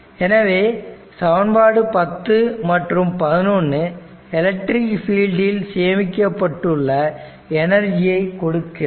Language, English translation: Tamil, So, equation 10 and 11 give the energy stored in the electric field that exists between the plates of the capacitor